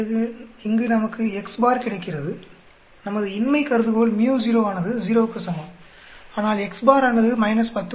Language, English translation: Tamil, Then we get x bar here our null hypothesis will be µ0 will be equal to 0 but x bar is minus 10